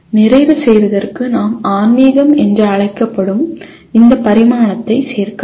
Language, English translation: Tamil, Just for completion we can add this dimension called spiritual